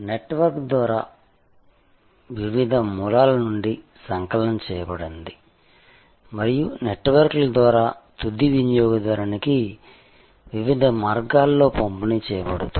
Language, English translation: Telugu, Compiled from different sources over a network and delivered in different ways to the end consumer over networks